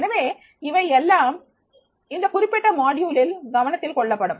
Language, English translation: Tamil, So, these all will be considered into this particular module